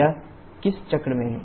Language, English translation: Hindi, In which cycle is this